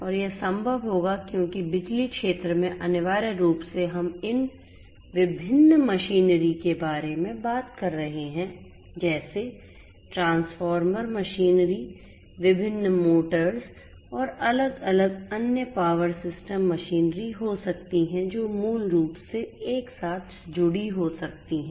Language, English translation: Hindi, And this would be possible because essentially in the power sector we are talking about these different machinery machineries like transformer machineries like different motors, etcetera right